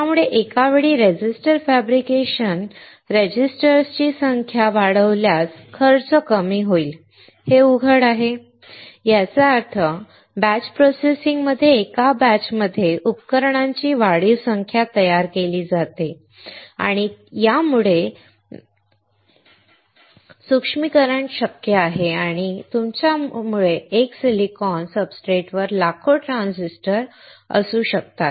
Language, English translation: Marathi, So, it is obvious that increasing the number of resistors fabrication registers at one time will decrease the cost; that means, in batch processing increased number of devices are produced in one batch and because of this miniaturization is possible and you can have millions of transistors on one silicon substrate